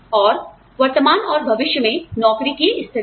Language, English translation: Hindi, And, the current and future stability of jobs